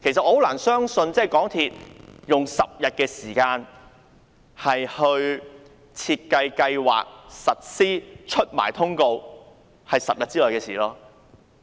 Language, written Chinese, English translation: Cantonese, 我難以相信港鐵公司用10天時間便完成規劃這項優惠並落實推行。, I found it hard to believe that MTRCL could plan and implement the offer in 10 days